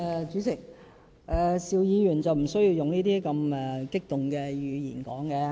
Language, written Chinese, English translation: Cantonese, 主席，邵議員無須用如此激動的語氣發言。, President Mr SHIU need not be so emotive in language